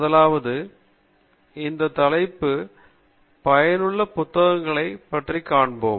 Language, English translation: Tamil, First, we look at the relevant books that are useful for this topic